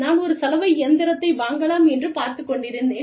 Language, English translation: Tamil, We had a washing machine